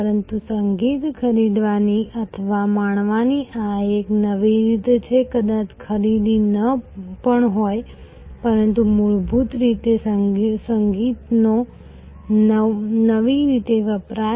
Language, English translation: Gujarati, But, this is a new way of buying or enjoying music may be even not buying, but basically consumption of music in a new way